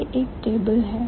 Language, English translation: Hindi, And this is the table